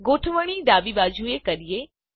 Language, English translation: Gujarati, Change the alignment to the left